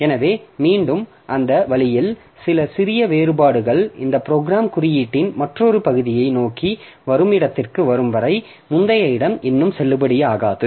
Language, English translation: Tamil, So, that way again so it shows some small variations till it comes to a point where this program has traversed to another region of code where the previous locality is no more valid